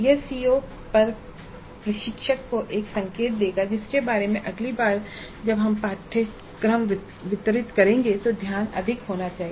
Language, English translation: Hindi, This will give an indication to the instructor on the COs regarding which the focus has to be more next time we deliver the course